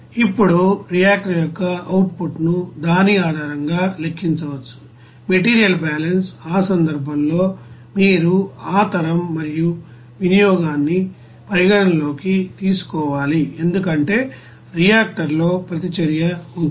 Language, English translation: Telugu, Now output of the reactor can be calculated based on that, you know material balance, in that case you have to consider that generation and consumption since in the reactor there will be a reaction